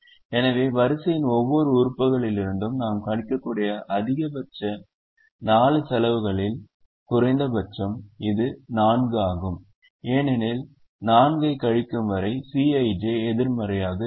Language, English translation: Tamil, so the maximum that we can subtract from every element of the row is the minimum of the four costs, which is four, because upto subtracting four, the c i j will remain non negative